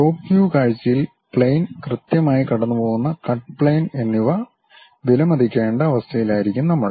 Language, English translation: Malayalam, In top view we will be in a position to appreciate the plane, the cut plane where exactly it is passing